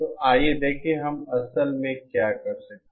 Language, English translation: Hindi, So let us see how, what we can actually do